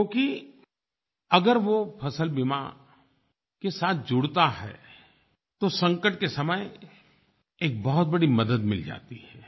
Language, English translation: Hindi, If a farmer gets linked to the crop insurance scheme, he gets a big help in the times of crisis